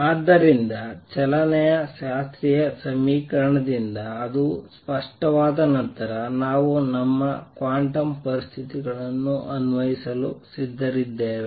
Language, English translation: Kannada, So, once that is clear from the classical equation of motion we are ready to apply our quantum conditions